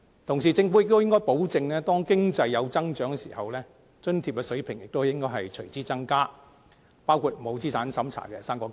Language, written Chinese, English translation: Cantonese, 同時，政府亦應該保證當經濟有增長時，津貼水平亦應該隨之增加，包括不設資產審查的"生果金"。, At the same time the Government should also assure elderly people that in times of economic growth the level of subsidies will be raised correspondingly including the fruit grant which does not require any assets test